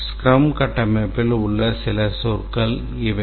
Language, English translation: Tamil, These are some of the terminologies in the scrum framework